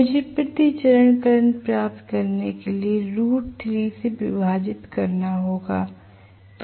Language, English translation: Hindi, So, I have to divide by root 3 to get the per phase current